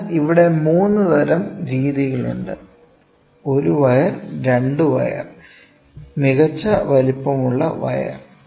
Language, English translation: Malayalam, So, here there are 3 types of methods; one is one wire, 2 wire and the best size wire